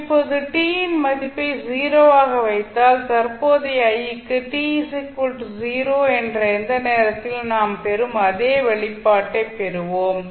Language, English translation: Tamil, Now if you put the value of t as 0 you will get the same expression which we derive for current i at any time at time t is equal to 0 which is our expected result